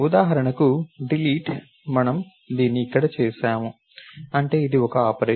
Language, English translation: Telugu, Delete for example notice we have done this over here, that is it is a single operation